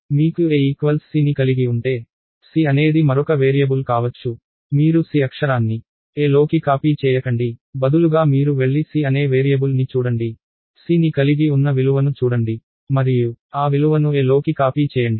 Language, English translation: Telugu, If you have a equals to c, c could itself be another variable, you do not copy the character c into a, instead you go and look at the variable called c, look at the value that c contains and copy that value into a